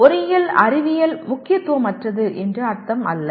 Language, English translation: Tamil, It is not that engineering sciences are unimportant